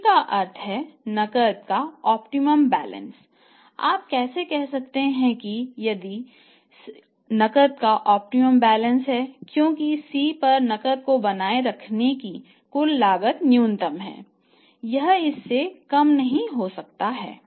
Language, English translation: Hindi, And how you can say that it is optimum balance of the cash because here at C total cost is minimum, total cost of the cash is minimum